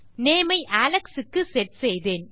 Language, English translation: Tamil, Ive got my name set to Alex